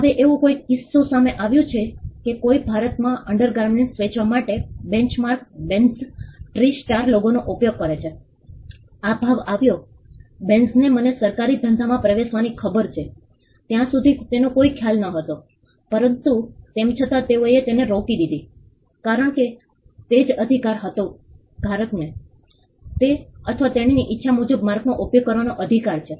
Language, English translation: Gujarati, Now, there was a case where someone use the Benchmark the Benz Tristar logo for selling undergarments in India, the quote came Benz had no idea as far as I know of entering into the government business, but still they stopped it because that was the right holder has the right to use the mark in the way he or she wants